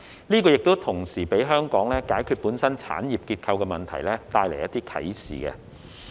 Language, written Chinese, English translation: Cantonese, 這同時給香港解決本身產業結構問題帶來一些啟示。, This has also given Hong Kong some insights into solving its own industrial structure problems